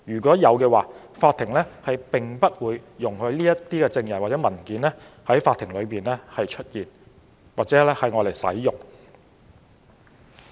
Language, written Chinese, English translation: Cantonese, 如有這種情況，法庭不會容許這些證人或文件在法庭出現或使用。, If this is the case the court will not allow these witnesses or documents to appear or be used in court